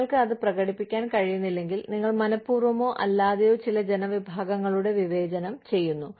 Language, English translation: Malayalam, If you cannot demonstrate that, then you have intentionally, or unintentionally, ended up discriminating against, certain groups of people